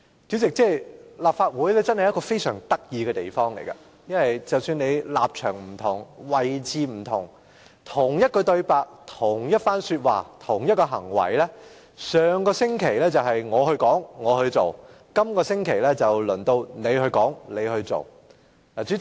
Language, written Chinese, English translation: Cantonese, 主席，立法會真是一個非常有趣的地方，議員立場不同，同一番說話及同一個行為，上星期可能由泛民議員去說去做，而本星期則輪到建制派議員去說去做。, President the Legislative Council is a very interesting place . Members having different positions made certain remarks and took certain actions . Last week it was the pan - democratic Members who made such remarks and took such actions and this week the pro - establishment Members take their turn